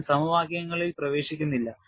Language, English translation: Malayalam, I am not getting into the equations